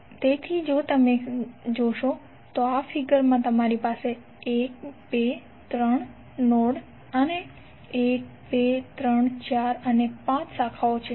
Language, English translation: Gujarati, So in this particular figure if you see you will have 1, 2, 3 nodes and 1,2,3,4 and 5 branches